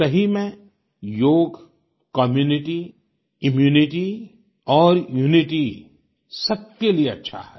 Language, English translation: Hindi, Truly , 'Yoga' is good for community, immunity and unity